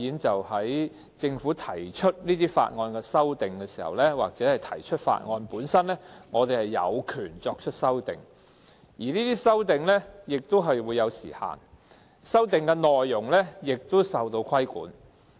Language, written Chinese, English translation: Cantonese, 在政府提出法案或對法案作出修訂時，立法會議員有權作出修訂，但這些修訂不但受時間限制，內容也受規管。, When the Government introduces a Bill or amendments to a Bill Members of the Legislative Council have the right to propose amendments but these amendments are subject to not only a time limit but also regulation of their contents